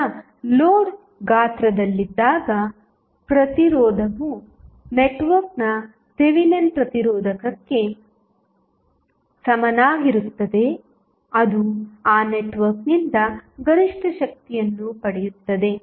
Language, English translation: Kannada, Now, when the load is sized, such that the resistance is equal to Thevenin's resistance of the network